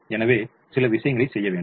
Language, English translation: Tamil, so let us do a few things now